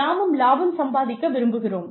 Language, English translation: Tamil, We also want to make profits